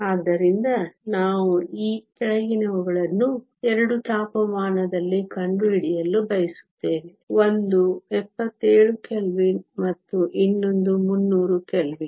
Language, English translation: Kannada, So, we want to find the following at 2 temperatures; one is 77 Kelvin and the other is 300 Kelvin